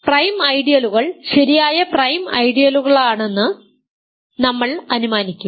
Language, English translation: Malayalam, So, we will assume that we will remember that prime ideals are proper ideals